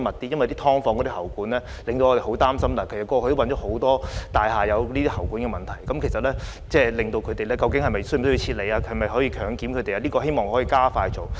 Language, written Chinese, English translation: Cantonese, 因為"劏房"的喉管令我們十分擔心，過去亦發現很多大廈有喉管問題，究竟居民是否需要撤離和可否進行強檢等，我希望政府可以加快進行這方面的工作。, It is because the pipes in subdivided units are most worrying to us . Many buildings have been found to have problems in the pipes and there have been questions about whether there is a need to evacuate the residents or whether they should be subject to compulsory testing etc . I hope that the Government can expedite its work in this connection